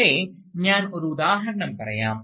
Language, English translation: Malayalam, But, let me give you an example